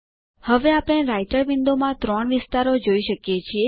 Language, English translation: Gujarati, Now we can see three areas in the Writer window